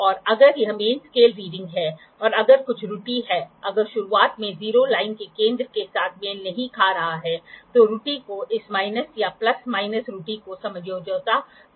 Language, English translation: Hindi, And if it is main scale reading and if there is some error, if in the beginning the 0 is not coinciding with the center of the line then error has to be adjusted this minus or plus minus error